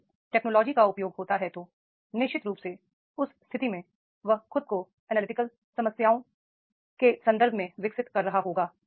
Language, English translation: Hindi, If the technological use is there, then definitely in that case he will be developing himself that what analytical problems